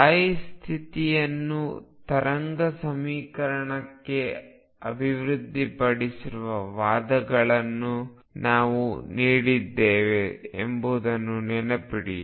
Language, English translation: Kannada, Remember we gave the arguments developing the stationary state to wave equation